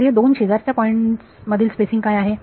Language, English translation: Marathi, So, what is the spacing between two adjacent points